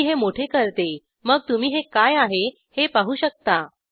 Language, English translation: Marathi, Let me make it bigger so that you can see what this is